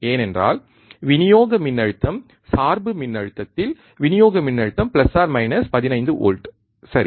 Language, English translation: Tamil, That is because the supply voltage the supply voltage at the bias voltage is plus minus 15 volts right